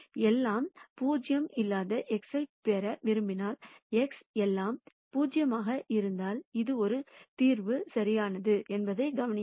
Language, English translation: Tamil, If I want to get an x which is not all 0, notice that if x is all 0, this is a solution right